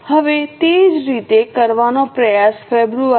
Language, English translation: Gujarati, Now same way try to do it for Feb